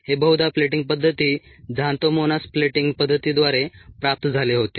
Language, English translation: Marathi, this was most likely obtained by the plating method, xanthomonas plating method